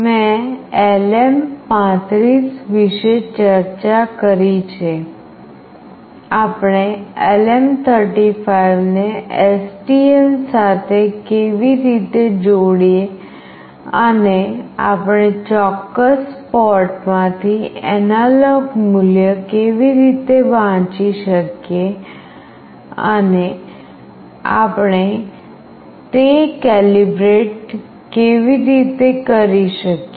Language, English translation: Gujarati, I have discussed about LM35, how do we connect LM35 with STM and how do we read an analog value from certain port and also how do we calibrate